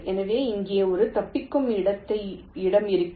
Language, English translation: Tamil, so there will be one escape point here